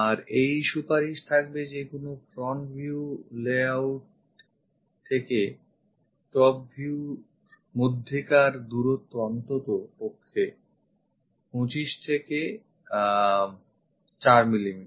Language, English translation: Bengali, And it is recommended that the distance between any front view layout to top view should be minimum of 25 to 4 mm